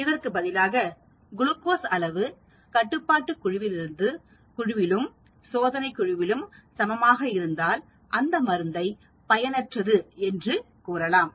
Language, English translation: Tamil, Whereas if that glucose levels are the same in the control group as well as in the test group, then we can say the drug is ineffective